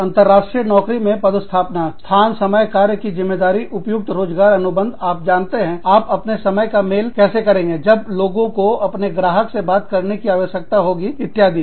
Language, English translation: Hindi, International job postings locations, timing, job responsibilities, applicable employment contracts, you know, how do you match the time, when people need to talk to their clients, etcetera